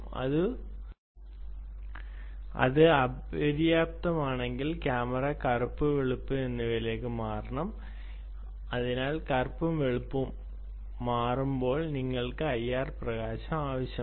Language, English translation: Malayalam, then the camera has to switch to black and white and therefore, when it is switches to black and white, you need the i r illumination